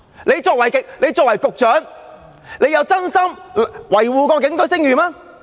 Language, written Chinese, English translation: Cantonese, 他作為局長，有否真心維護警隊的聲譽嗎？, As the Secretary for Security has John LEE earnestly protected the reputation of the Police?